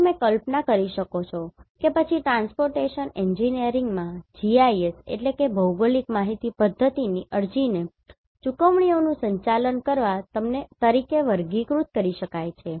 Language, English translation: Gujarati, And you can visualize then application of GIS in transportation engineering can be classified as managing payments